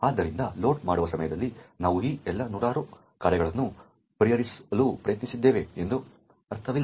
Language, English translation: Kannada, So, it does not make sense that at loading time we try to resolve all of these hundreds of functions